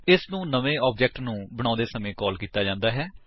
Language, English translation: Punjabi, It is called at the creation of new object